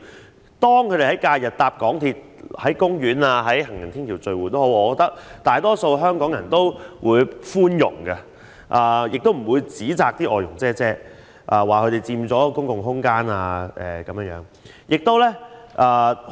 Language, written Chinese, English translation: Cantonese, 所以，當她們在假日乘搭港鐵，在公園和行人天橋聚會時，大多數香港人都非常包容，不會指責她們佔用公共空間。, This is the reason why most Hong Kong people are very understanding towards foreign domestic helpers when they ride on the MTR and gather at parks and footbridges during holidays and will not criticize them for occupying public spaces